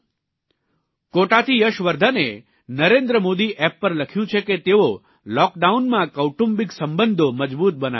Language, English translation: Gujarati, Yashvardhan from Kota have written on the Namo app, that they are increasing family bonding during the lock down